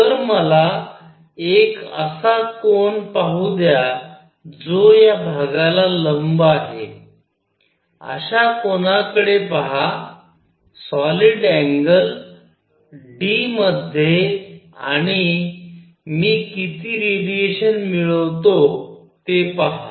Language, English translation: Marathi, So, let me look at an angle theta for perpendicular to the area, look at an angle theta into solid angle d omega and see how much radiation do I collect